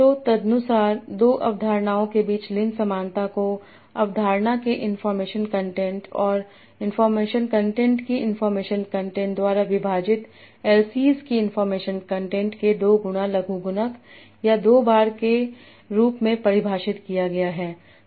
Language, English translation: Hindi, So accordingly, limb similarity between two concepts is defined as 2 times logarithm of or 2 times information content of dialysis divide by information content of the concept 1 plus information content of the concept